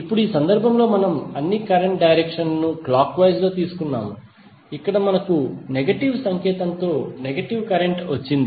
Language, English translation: Telugu, Now in this case we have taken all the current direction as clockwise, here we have got current in negative with negative sign